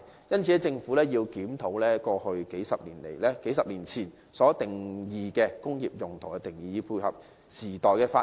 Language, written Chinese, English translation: Cantonese, 因此，政府必須檢討過去數十年前就工業用途所設的定義，以配合時代的發展。, Hence the Government must review the definition it has put in place for industrial uses decades ago to keep up with the times